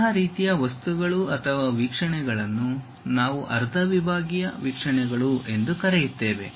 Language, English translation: Kannada, Such kind of objects or views we call half sectional views